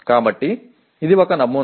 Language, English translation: Telugu, So this is one sample